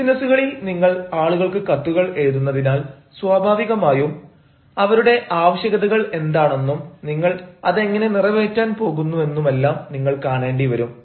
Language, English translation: Malayalam, but in businesses, because you are writing to people, naturally you will also have to see what their requirements are and how you are going to satisfy their requirements